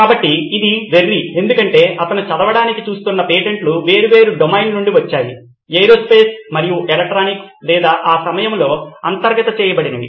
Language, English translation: Telugu, So this was crazy because the patents that he was looking at reading were from different domains aerospace and electronics or whatever was invoke at that time